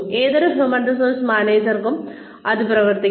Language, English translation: Malayalam, Repeat this, for any human resources manager